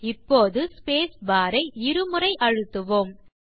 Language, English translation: Tamil, Now press the spacebar on the keyboard twice